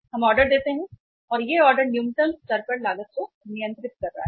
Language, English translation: Hindi, We place the order and that order is keeping the cost at control at the lowest level